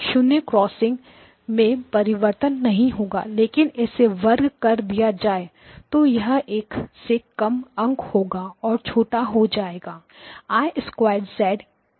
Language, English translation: Hindi, It will have the 0, 0 zero crossings will not change but when I square this is the number less than 1 so therefore it becomes smaller, I squared of z